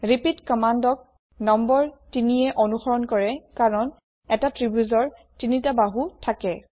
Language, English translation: Assamese, repeat command is followed by the number 3, because a triangle has 3 sides